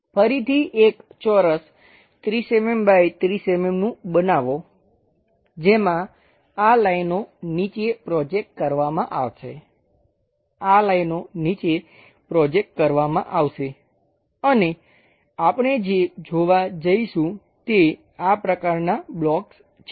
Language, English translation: Gujarati, Again construct one more square 30 mm by 30 mm, in that these lines will be projected all the way down, these lines will be projected down and what we are going to see is this kind of blocks